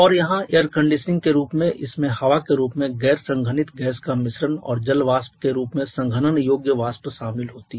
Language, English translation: Hindi, And their air conditioning as it involves a mixture of the non condensable gas in the form of air and condensable vapour in the form of water vapour